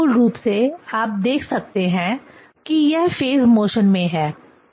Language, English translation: Hindi, So, this is the basically, one can see, in phase motion